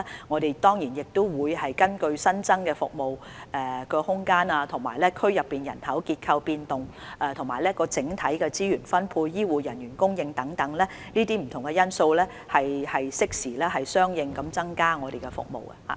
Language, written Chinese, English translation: Cantonese, 我們會根據新增的服務空間、當區人口結構變化、整體資源分配，以及醫護人員供應等不同因素，適時相應地增加服務。, We will enhance its services correspondingly in a timely fashion based on various factors such as additional service capacity changes in the local population structure overall distribution of resources and also the supply of health care manpower